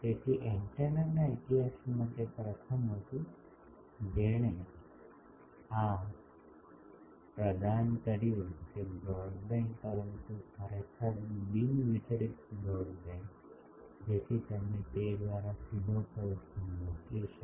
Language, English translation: Gujarati, So, that actually was the first in the history of antenna that made this contribution that broadband, but really non dispersive broadband, so that you can send a pulse directly through that